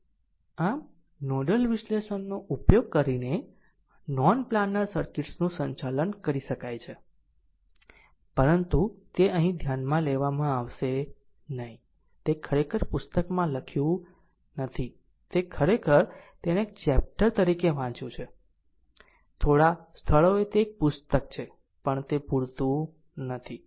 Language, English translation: Gujarati, So, non planar circuits can be handled using nodal analysis, but they will not be considered here, it is written book actually book is not written it is actually you read it as a chapter few places, few places you will get it is a book, but [laughter] book book is not there not completed right